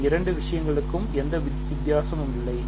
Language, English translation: Tamil, There is no difference between these two things